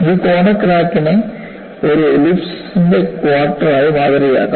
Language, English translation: Malayalam, So, this corner crack would be modeled as quarter of an ellipse